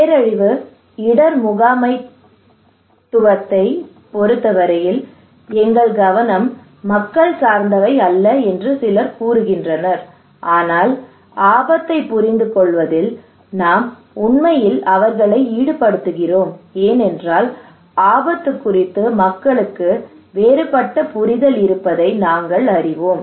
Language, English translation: Tamil, Some people are saying in case of disaster risk management that our focus is not that people are not passive recipient, but what we do then we actually involve them in understanding the risk because we know people have different understanding of the risk